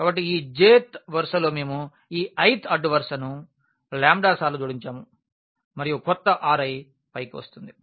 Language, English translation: Telugu, So, the i th row we have added this lambda times this j th row and the new R i will come up